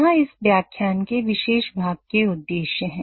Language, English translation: Hindi, Here are the objectives for this particular part of the lecture